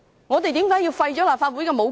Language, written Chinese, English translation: Cantonese, 我們為何要廢除立法會的武功？, Why should the Legislative Council be stripped of its powers?